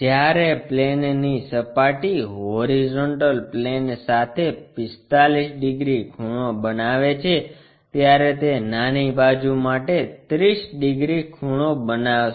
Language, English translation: Gujarati, While the surfaces of the plane makes 45 degrees inclination with the HP, it is going to make 30 degrees for the small side